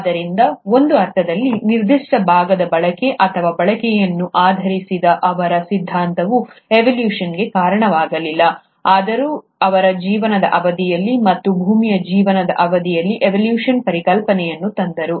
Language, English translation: Kannada, So in a sense, his theory based on use or disuse of a particular part was not the reason for evolution, though he did bring in the concept of evolution during the course of life, and in the course of earth’s life